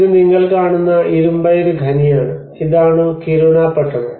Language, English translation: Malayalam, So this is iron ore mine what you are seeing and this is the Kiruna town